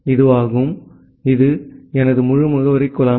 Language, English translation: Tamil, So, this was my entire address pool